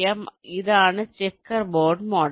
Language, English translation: Malayalam, so this is what the checker board model is